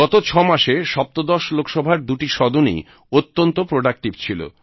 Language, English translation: Bengali, In the last 6 months, both the sessions of the 17th Lok Sabha have been very productive